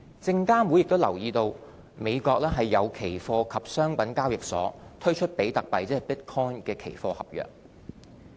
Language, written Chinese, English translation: Cantonese, 證監會也留意到美國有期貨及商品交易所推出比特幣期貨合約。, SFC also noted that futures and commodities exchanges in the United States had launched Bitcoin futures contracts